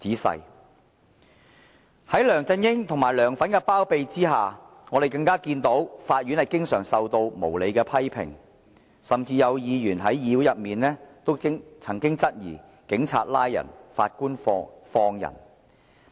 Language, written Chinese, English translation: Cantonese, 在梁振英及"梁粉"的包庇之下，我們更看到法院經常受到無理的批評，甚至有議員在議會裏也曾質疑"警察拉人，法官放人"。, Under the shelter of LEUNG Chun - ying and LEUNGs fans we even see that the Courts are often subject to unreasonable criticisms . Even in this Chamber certain Members had made the query that Police do the arrests while the judge let them go